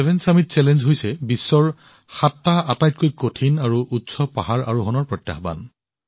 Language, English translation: Assamese, The seven summit challenge…that is the challenge of surmounting seven most difficult and highest mountain peaks